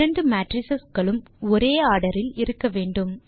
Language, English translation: Tamil, Note that both the matrices should be of the same order